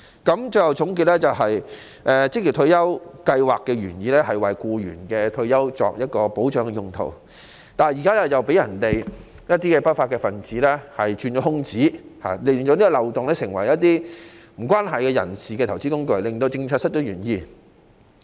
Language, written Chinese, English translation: Cantonese, 我最後總結，職業退休計劃的原意是為僱員的退休生活作保障，但現在被一些不法分子鑽空子，令計劃成為不相關人士的投資工具，使政策失去原意。, Here are my final concluding remarks . The original intent of OR Schemes is to give retirement protection for employees but at present some lawbreakers exploit the loopholes to make the scheme an investment vehicle for non - related persons causing the policy to depart from the original intent